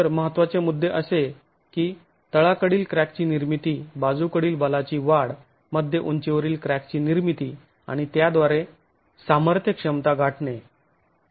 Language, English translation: Marathi, So, the critical points are formation of the base crack, increase in lateral force, formation of the mid height crack and with that the strength capacity is reached